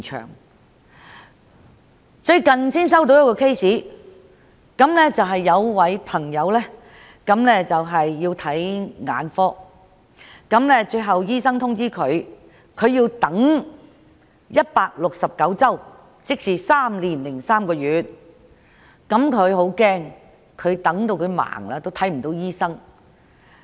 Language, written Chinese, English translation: Cantonese, 我最近接獲一宗求助個案，有一位市民需要向眼科醫生求診，但卻獲告知須等候169周，即3年3個月，他很擔心等到眼睛瞎了也未能見到醫生。, I have recently received a request for assistance where a member of the public needed to consult an ophthalmologist but was advised that he had to wait for 169 weeks and he was very worried that he would become blind before he could finally see the doctor